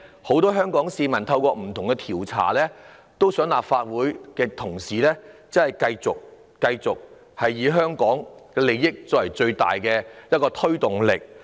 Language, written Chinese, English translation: Cantonese, 很多香港市民透過不同的調查表達意見，希望立法會的同事真的以香港的利益作為最大考慮。, Many of them have expressed their opinions through different surveys in the hope that Honourable colleagues of the Legislative Council will truly regard the interests of Hong Kong as their greatest consideration